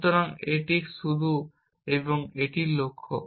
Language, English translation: Bengali, So, this is the start and this is the goal